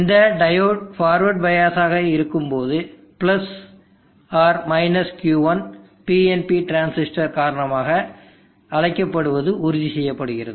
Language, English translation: Tamil, When this diode is forward by as + Q1 is assure to be off, because the PNP transistor